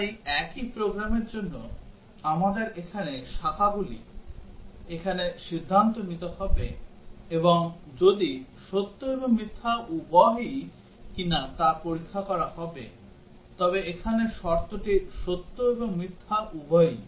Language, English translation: Bengali, So for the same program, we would need there are branches here decisions here and while if and will check if while is both true and false, the condition here is both true and false